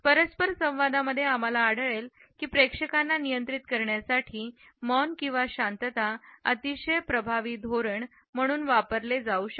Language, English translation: Marathi, In interpersonal interaction we find that it can be used as a very effective strategy for controlling the audience